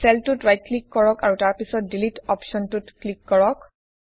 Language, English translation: Assamese, Right click on the cell and then click on the Delete option